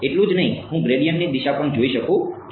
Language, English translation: Gujarati, Not just that, I can also look at the direction of the gradients right